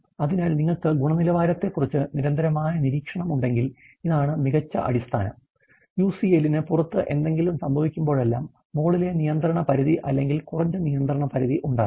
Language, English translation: Malayalam, So, if you have a continuous monitoring of the quality this is the best basis, and whenever there is something going outside the UCL, the upper control limit or lower control limit